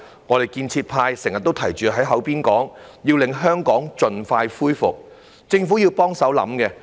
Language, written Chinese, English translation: Cantonese, 我們建設派經常提出要令香港盡快恢復，政府也要協助思考這個問題。, Members from the pro - establishment camp always highlight the importance for Hong Kong to recover expeditiously which is something that the Government should think about